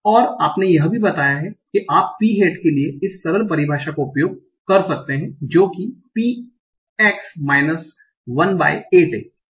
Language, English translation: Hindi, And you also told that you can use the simple definition for p hat, that is p x minus 1 by 8